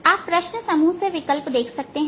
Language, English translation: Hindi, you can see options from our your question set